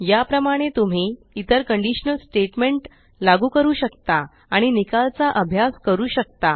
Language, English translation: Marathi, In the same manner, you can apply other conditional statements and study the results